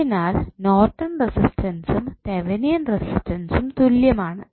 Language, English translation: Malayalam, So, Norton's resistance and Thevenin resistance would be same